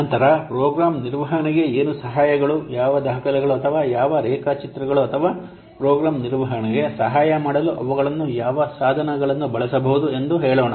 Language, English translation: Kannada, Then let's say what are the ATS to Program Management, what documents or what diagrams or what tools they can be used to add program management